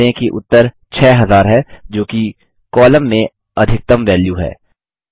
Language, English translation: Hindi, Notice, that the result is 6000, which is the maximum value in the column